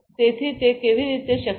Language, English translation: Gujarati, So, how it is possible